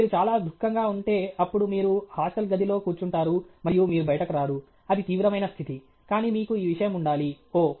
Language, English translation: Telugu, If you are too unhappy, then you will sit in the hostel room and you will not come out, that is the extreme case; but you should have some this thing, oh